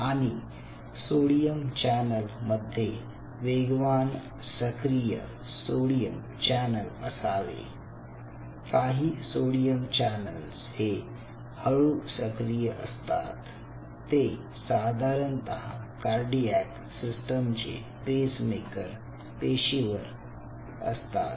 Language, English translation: Marathi, of course, fast activating sodium channels ok, and some of them of course are slow activating, which is in the pacemaker cells, and likewise sodium channels